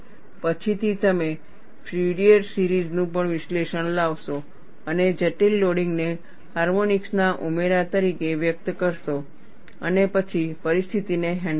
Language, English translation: Gujarati, Later on, we will bring in Fourier series analysis and express the complicated loading as addition of harmonics and then handle the situation